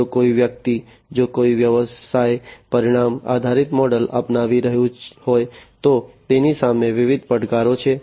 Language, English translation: Gujarati, So, you know if somebody if a business is adopting, the outcome based model, there are different challenges